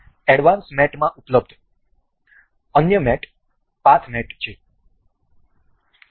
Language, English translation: Gujarati, The other mate available in the advanced mate is path mate